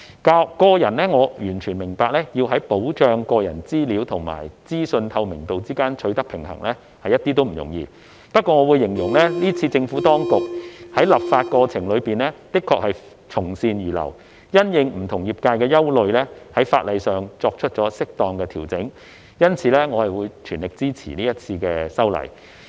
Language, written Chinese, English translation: Cantonese, 我個人完全明白要在保障個人資料及資訊透明度之間取得平衡是一點也不容易，不過我會形容政府當局是次在立法過程中的確從善如流，因應不同業界的憂慮而在法例上作出了適當的調整，因此我會全力支持這次的修例。, Personally I fully understand that it is not easy at all to strike a balance between protection for personal information and transparency of information . However I would say the Administration has indeed been amenable to good advice put forth by various industries during the legislative process as it has made amendments to the legislation in the light of their concerns . Therefore I fully support the current legislative amendment